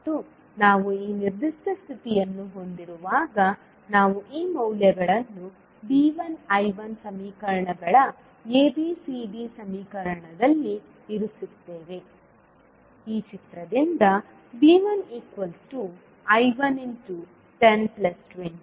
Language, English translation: Kannada, And when we have this particular condition we put these values in the ABCD equation that is V 1 I 1 equations